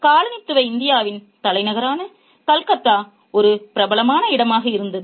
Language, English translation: Tamil, Calcutta, the capital of colonial India, was a popular destination